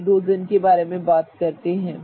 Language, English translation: Hindi, What about the hydrogens